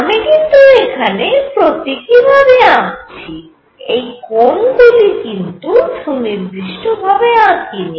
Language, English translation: Bengali, I am just drawing these symbolically these angles are not written to be to be precise